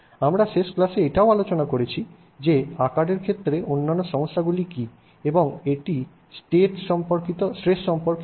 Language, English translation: Bengali, We also discussed in the last class the other issue with respect to sizes and which is about the stress